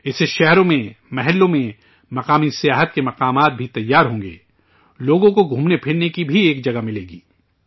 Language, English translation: Urdu, With this, local tourist places will also be developed in cities, localities, people will also get a place to walk around